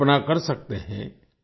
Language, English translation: Hindi, You can imagine